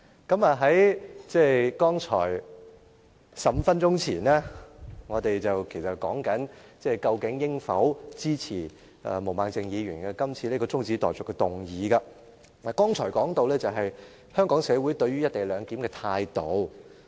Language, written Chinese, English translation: Cantonese, 剛才我們在討論究竟應否支持毛孟靜議員今次這項中止待續議案時，亦說到香港社會對於"一地兩檢"的態度。, Just now we were discussing whether we should support Ms Claudia MOs adjournment motion and we talked about how society as a whole looked at the co - location arrangement